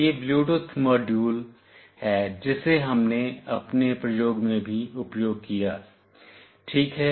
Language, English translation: Hindi, This is the Bluetooth module that we have also used it in our experiment ok